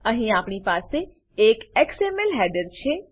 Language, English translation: Gujarati, We have an xml header here